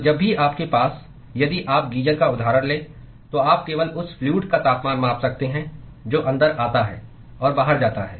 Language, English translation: Hindi, So, whenever you have if you take the example of the geyser, all that you can measure is the temperature of the fluid that comes in and goes out